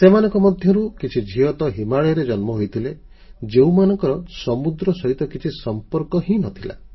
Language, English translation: Odia, I had the opportunity to meet some young daughters, some of who, were born in the Himalayas, who had absolutely no connection with the sea